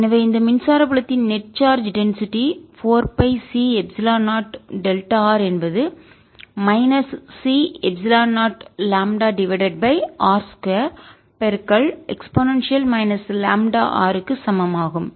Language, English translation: Tamil, so the net charge density of this electric field is going to be four pi c, epsilon zero, delta r minus c, epsilon zero, lambda over r square